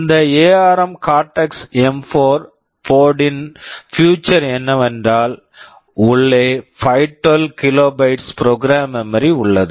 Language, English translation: Tamil, The feature of this ARM Cortex M4 board is, inside there is 512 kilobytes of program memory